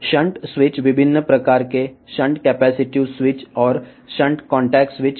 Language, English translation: Telugu, The shunt switch could be of various type the shunt capacitive switch and the shunt contact switch